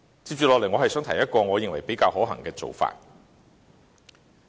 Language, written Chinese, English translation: Cantonese, 接着，我想提出一個我認為比較可行的做法。, Next I want to share with you a more realistic approach